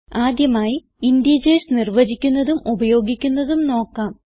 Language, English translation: Malayalam, Let us define and use integers first